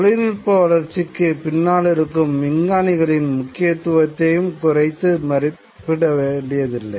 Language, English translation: Tamil, One doesn't want to undermine the importance of the scientists who are behind the development of technology